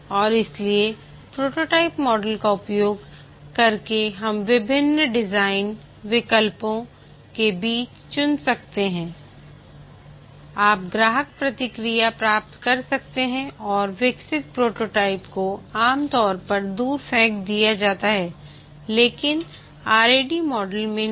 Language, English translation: Hindi, And therefore, using the prototyping model, you can choose between different design alternatives, can elicit customer feedback, and the developed prototype is usually throw away, but not the rad model